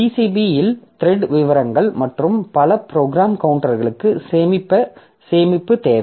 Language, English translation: Tamil, So, need storage for thread details and multiple program counters in PCB